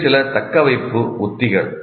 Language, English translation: Tamil, These are some retention strategies